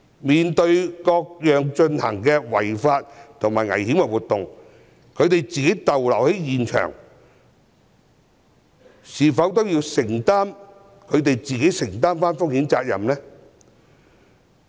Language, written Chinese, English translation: Cantonese, 面對各種違法及危險活動，他們在現場逗留是否也要自行承擔風險責任呢？, In the face of various unlawful and dangerous activities should reporters who decided to stay at the scene bear their own risks?